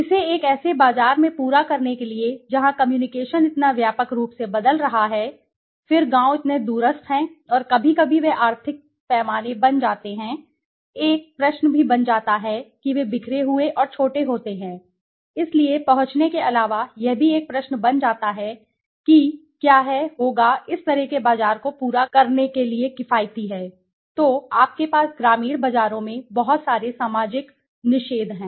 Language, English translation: Hindi, To cater it to a market where the communication is so vastly changing right then the villages are so remote and sometimes they are so you know the scale of economic becomes a question also they are scattered and small so apart from reaching it also becomes a question whether is/would be economical to cater to such a market, then you have lot of social taboos in the rural markets right